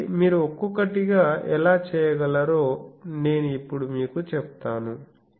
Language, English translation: Telugu, So, I will now tell you that how one by one you can